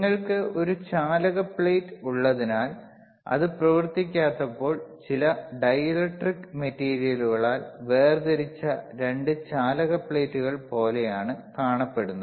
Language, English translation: Malayalam, bBecause you have a conducting plate, you have a conducting plate when, when it is not operating, it is is like a 2 conducting plates separated by some material by some dielectric material